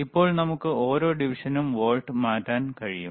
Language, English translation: Malayalam, Now we can change the volts per division